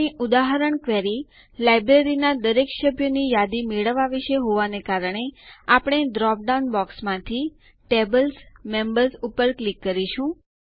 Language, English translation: Gujarati, Since our example query is about getting a list of all the members of the Library, we will click on the Tables: Members from the drop down box